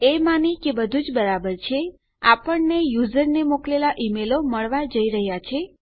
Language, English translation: Gujarati, Presuming that everything is okay we are going to get the email sent to the user